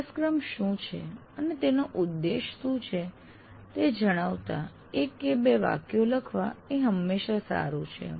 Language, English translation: Gujarati, It is always good to write one or two sentences saying what the course is all about